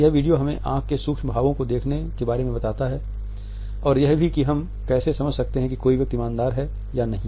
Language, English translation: Hindi, This video also tells us about looking at the micro expressions of eyes and how we can understand whether a person is being honest or not